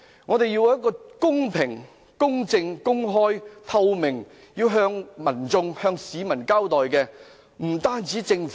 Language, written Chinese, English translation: Cantonese, "我們要公平、公正、公開及透明地向市民交代。, We should be accountable to the public in a fair just open and transparent manner